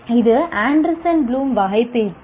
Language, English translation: Tamil, And this is called Anderson Bloom Taxonomy